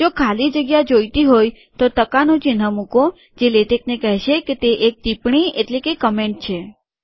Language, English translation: Gujarati, If you really want a space, leave a percentage which tells latex that it is a comment